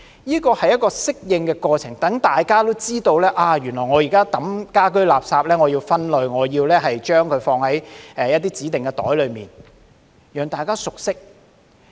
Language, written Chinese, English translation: Cantonese, 這是一個適應過程，讓大家也知道原來我現在棄置家居垃圾是要分類、要將垃圾放在指定的袋裏，讓大家熟識。, This is a process of adaptation giving time for people to familiarize themselves with the arrangement so that they know they have to do waste separation and use designated bags when they dispose of domestic waste